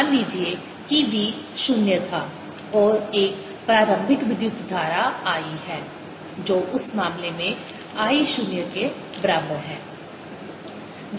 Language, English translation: Hindi, suppose v was zero and there is an initial current i equals i zero